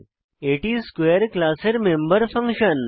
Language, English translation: Bengali, It is a member function of class square